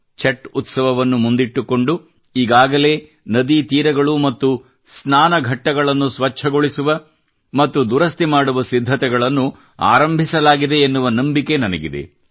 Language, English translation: Kannada, I hope that keeping the Chatth Pooja in mind, preparations for cleaning and repairing riverbanks and Ghats would have commenced